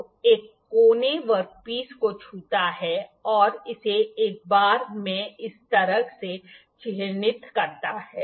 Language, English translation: Hindi, So, as this corner one of the corner touches the work piece and to mark it in one go like this